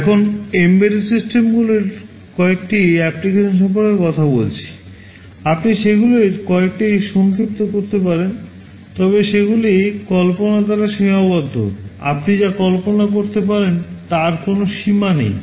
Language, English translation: Bengali, Now talking about some applications of embedded systems, you can summarize some of them, but they are limited by imagination, there is no limit to what you can imagine